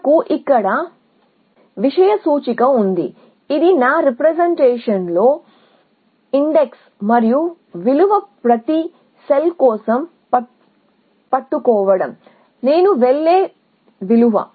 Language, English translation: Telugu, That we haven index this is as index in my representation and the value that is a told for each sell in the value that I would go